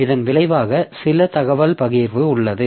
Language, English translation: Tamil, So, as a result, there is some information sharing